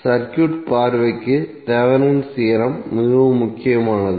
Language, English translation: Tamil, These Thevenin’s theorem is very important for the circuit point of view